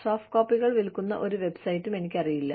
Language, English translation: Malayalam, I am not aware of any website, that sells soft copies